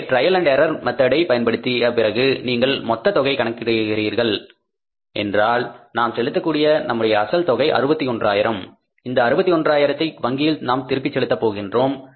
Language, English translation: Tamil, So, after the trial and error method, if you calculate that total amount, if you take it, say for example we pay a principle of how much, 61,000